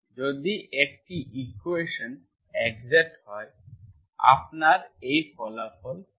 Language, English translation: Bengali, If an equation is exact, you have this result